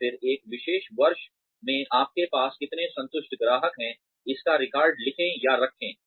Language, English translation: Hindi, And then, write down or keep records of, how many satisfied customers, you had in a particular year